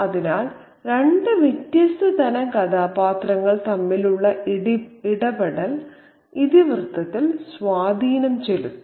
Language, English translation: Malayalam, So, the interaction between two different kinds of character could have an impact on the plot